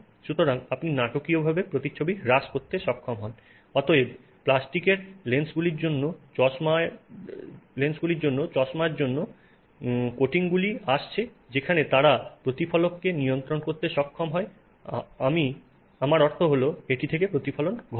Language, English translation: Bengali, So, you are able to mitigate reflections dramatically and therefore coatings are coming for glasses, even for plastic lenses where they are able to control the reflect, I mean, reflections that happen from it